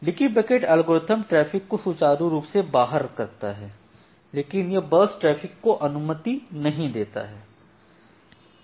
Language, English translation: Hindi, So, the leaky bucket algorithm it smooth out traffic, but it does not does not permit burstiness